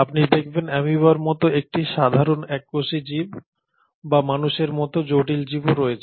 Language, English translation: Bengali, You have a simple, single celled organism like amoeba or you have a much more complex organism like human beings